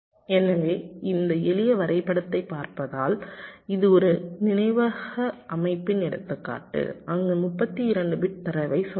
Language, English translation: Tamil, so if you look at this simple diagram, this is the example of a memory system where there are, lets say, thirty two bit data